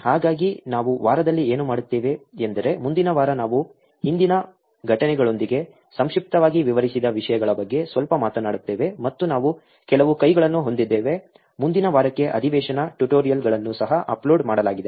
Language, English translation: Kannada, So, what we will do is the week is, next week we will talk little bit about one of the topics that I covered very briefly with incidences today and we will also have some hands on session tutorials also uploaded for next week